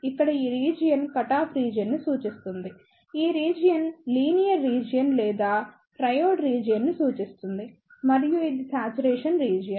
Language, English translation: Telugu, Here, this reason represents the cutoff region, this region represents the linear region or triode region and this is the saturation region